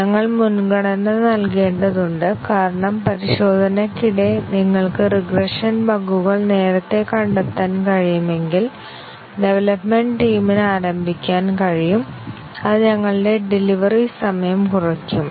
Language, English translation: Malayalam, We need to prioritize because if you can detect the regression bugs earlier during testing then the development team can get started and that will reduce our delivery time